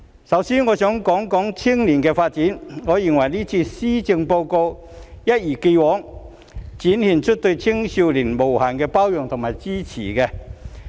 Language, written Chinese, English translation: Cantonese, 首先，我想談談青少年的發展，我認為這份施政報告一如既往地展現出對青少年的無限包容及支持。, First of all I wish to talk about youth development . I think the Policy Address has as always displayed unlimited tolerance and support for young people